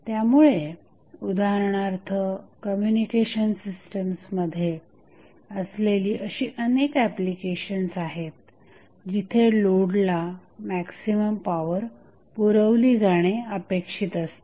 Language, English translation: Marathi, So, there are such applications such as those in communication system, where it is desirable to supply maximum power to the load